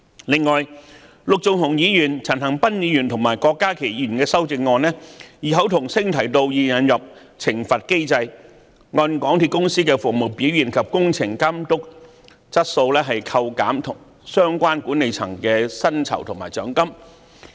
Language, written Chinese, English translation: Cantonese, 此外，陸頌雄議員、陳恒鑌議員和郭家麒議員的修正案異口同聲要求引入懲罰機制，按港鐵公司的服務表現及工程監督質素扣減相關管理層的薪酬和獎金。, Furthermore Mr LUK Chung - hung Mr CHAN Han - pan and Dr KWOK Ka - ki have coincidentally proposed in their respective amendments that a penalty mechanism should be introduced under which remunerations and bonuses for the management of MTRCL should be deducted with reference to the service performance and quality of works supervision of MTRCL